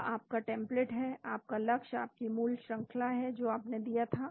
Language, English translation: Hindi, That is your template, your target is your original sequence which you gave